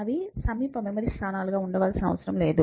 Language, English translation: Telugu, So, they do not have to be continuous memory locations